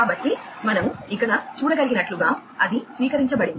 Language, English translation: Telugu, So, as we can see over here, it has been received